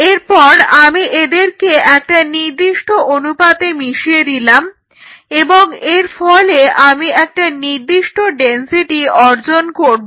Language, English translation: Bengali, So, I mix them at a particular ratio and I achieve particular density say I said density 1